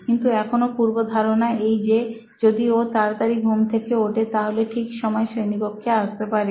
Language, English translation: Bengali, So, but still the assumption is that if they woke up early, they would be on time to the class